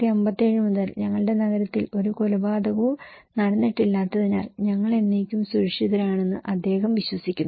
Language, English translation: Malayalam, So, he believes that we are safe forever because that our town has not had a murder since 1957